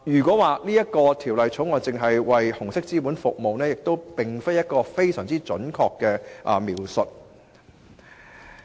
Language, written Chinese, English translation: Cantonese, 所以，《條例草案》只為紅色資本服務的說法，並不十分準確。, Hence the idea that the Bill only serves red capital is not particularly accurate